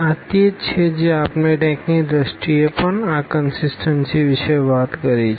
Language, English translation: Gujarati, This is what we talked about this consistency in terms of the rank as well